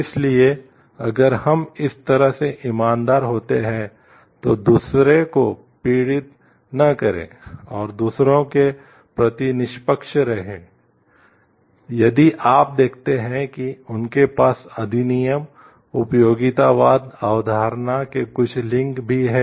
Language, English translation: Hindi, So, again if we see like this be honest, do not cause suffering to others, and be fair to others, again if you see these have some link to the act utilitarianism concept also